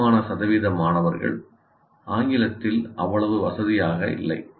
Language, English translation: Tamil, And you can say for significant percentage of the students, they are not that comfortable with English